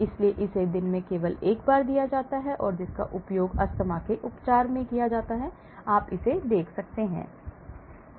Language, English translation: Hindi, so it is given only once a day, used in the treatment of asthma, you can see that